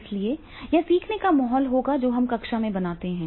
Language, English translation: Hindi, So, therefore this will be the learning environment which we create in the classroom